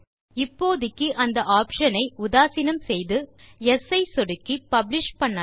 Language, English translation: Tamil, For now lets forget that option and simply publish by clicking yes